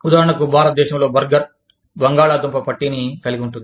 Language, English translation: Telugu, For example, the burger in India, has a potato patty, in it